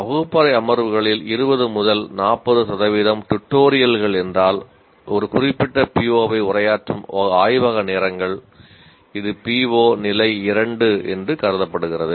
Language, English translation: Tamil, If 25% to 40% of the classroom sessions, tutorials, lab hours addressing a particular P, it is considered that PO is addressed at level 2